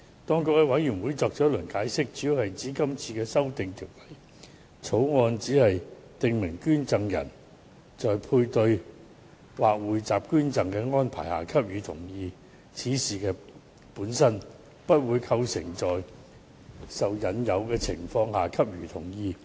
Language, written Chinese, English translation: Cantonese, 當局向法案委員會作出解釋，主要指出今次修訂只是訂明捐贈人在配對或匯集捐贈安排下給予同意此事本身，不會構成在受引誘的情況下給予同意。, The Administration explained to the Bills Committee that the objective of introducing the Bill was to provide that the donors consent given under the paired or pooled donation arrangement would not in itself constitute an offer of inducement